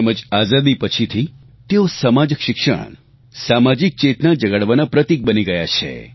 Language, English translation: Gujarati, And after Independence, this festival has become a vehicle of raising social and educational awareness